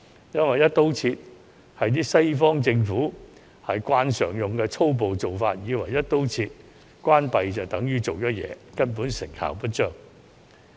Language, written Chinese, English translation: Cantonese, "一刀切"是西方政府慣常採用的粗暴做法，以為"一刀切"關閉所有處所就等於做了事，根本成效不彰。, Western governments are accustomed to adopting a brutal across - the - board approach thinking that closing down all premises across - the - board is a way to show that action has been taken . However this is definitely ineffective